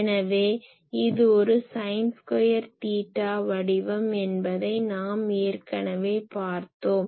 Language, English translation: Tamil, So, we have already seen that it was a sin sin square theta pattern ah